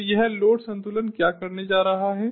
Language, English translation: Hindi, so this is what the load ah balancing is going to do